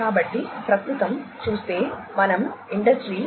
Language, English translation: Telugu, So, if we look at present we are talking about Industry 4